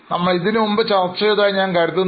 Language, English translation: Malayalam, I think we have discussed it earlier